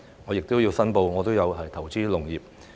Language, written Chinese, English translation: Cantonese, 我亦要申報我有投資農業。, I also need to declare that I have some agricultural investments